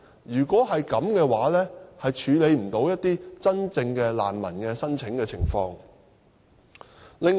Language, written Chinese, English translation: Cantonese, 如果是這樣，將無法處理一些真正難民提出的申請。, If so we will be unable to deal with the applications of some genuine refugees